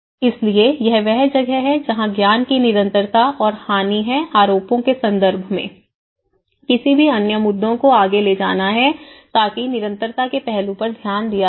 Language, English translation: Hindi, So, that is where the continuity and loss of knowledge because in terms of maintenance, in terms of any other allegations, any other issues to be taken further so that is where the continuity aspect has to be looked into it